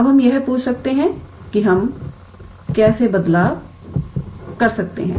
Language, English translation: Hindi, Now we might or one might ask that change of how do we change